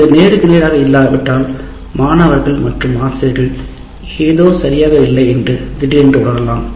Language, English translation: Tamil, If it is not face to face, both the students and teachers may feel somehow suddenly out of place